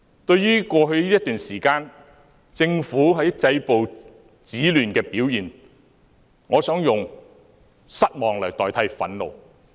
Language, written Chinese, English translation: Cantonese, 對於過去一段時間，政府止暴制亂的表現，我想用失望來代替憤怒。, Concerning the performance of the Government in stopping violence and curbing disorder over the past period of time I wish to say I am disappointed rather than indignant